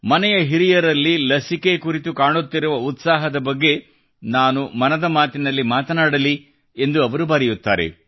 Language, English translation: Kannada, She urges that I should discuss in Mann ki Baat the enthusiasm visible in the elderly of the household regarding the vaccine